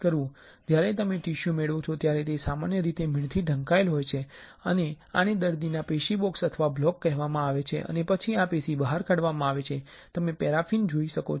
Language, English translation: Gujarati, When you get the tissue generally it is covered with wax and this is called patient tissue box or block and then this tissue is taken out, you can see the paraffin